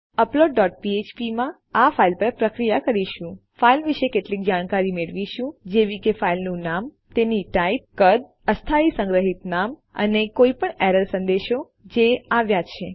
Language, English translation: Gujarati, Then in upload dot php we will process this file, get some information about the file like its name, its type, size, temporary stored name and any error messages that have occurred